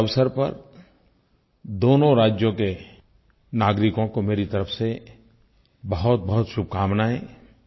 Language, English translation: Hindi, On this occasion, many felicitations to the citizens of these two states on my behalf